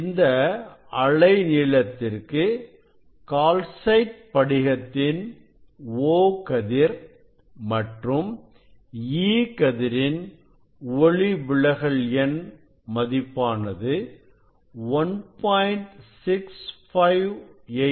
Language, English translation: Tamil, for this wavelength refractive index for O ray and E ray in calcite crystal is 1